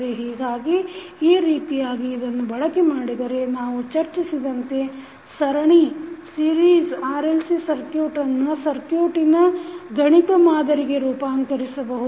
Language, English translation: Kannada, So, in this way using this you can transform the series RLC circuit which we discussed into mathematical model of the circuit